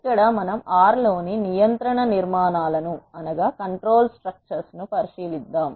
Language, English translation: Telugu, Here we will look at the control structures in R